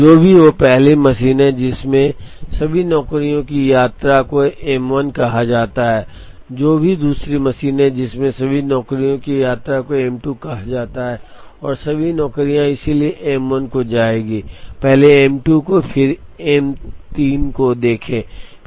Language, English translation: Hindi, So, whatever is the first machine that all the jobs visit is called M 1, whatever is the second machine that all the jobs visit is called M 2 and all the jobs will therefore, visit M 1, first then M 2 then M 3 and then the last machine and then they go out